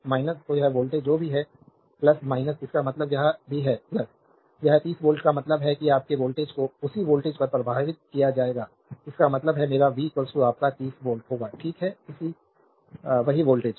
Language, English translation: Hindi, So, this voltage is whatever plus minus means this is also plus minus, this 30 volt means is to same voltage will be impress across this your resistor; that means, my v will be is equal to your 30 volt, right so, same voltage